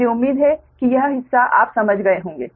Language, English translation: Hindi, i hope this part you have understood right